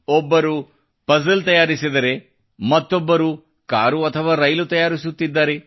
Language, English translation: Kannada, Some students are making a puzzle while another make a car orconstruct a train